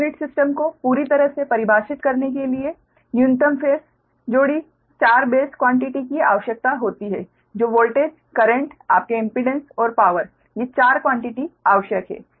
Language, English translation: Hindi, to completely define a per unit system minimum, your four base quantities are required, that is voltage, current, your impedance and power